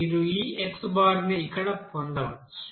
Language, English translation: Telugu, So you can obtain this x bar here